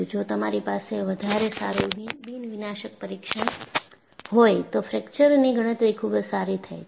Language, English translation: Gujarati, So, if you have a better nondestructive testing, even our fracture calculation would be much better